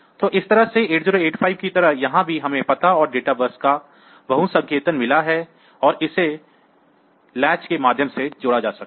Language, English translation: Hindi, So, in this way just like 8085; so, here also we have got multiplexing of address and data bus and it can be connected through the latch